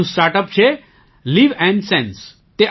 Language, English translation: Gujarati, Another startup is LivNSense